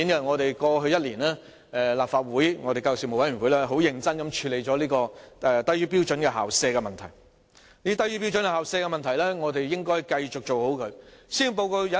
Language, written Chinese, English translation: Cantonese, 在過去1年，立法會教育事務委員會很認真地處理"低於標準校舍"的問題，而我們應該繼續妥善處理這問題。, Over the past year the Education Panel of the Legislative Council has seriously addressed the issue of substandard school premises and we should continue to deal with this issue properly . In the Policy Address there is a short paragraph about substandard school premises